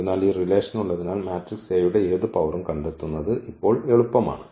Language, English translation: Malayalam, So, it is easy now to find having this relation any power of the matrix A